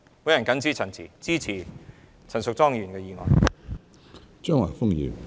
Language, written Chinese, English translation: Cantonese, 我謹此陳辭，支持陳淑莊議員的議案。, With these remarks I support Ms Tanya CHANs motion